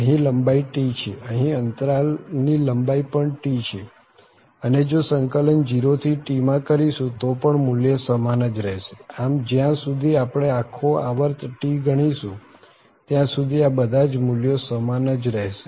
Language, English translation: Gujarati, So, here the length is T here, also the length of this interval is T and that value will be same if we integrate from 0 to T so in the whole this period T so this all these values will be same as long as we have the we are covering the whole period T